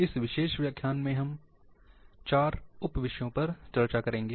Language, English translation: Hindi, In this particular lecture, we will be discussing 4 sub topics